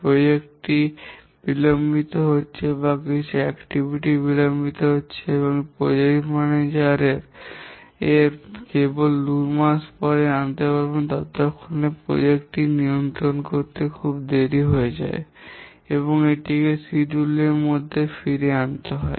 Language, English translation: Bengali, The fact that the project is getting delayed or some activities delayed, the project manager can know only after two months and by the time it will be too late to control the project and back put it back into the schedule and therefore the project manager loses control of the project